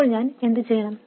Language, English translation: Malayalam, So what should I do